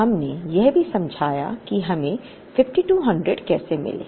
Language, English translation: Hindi, We also explained, how we got that 5200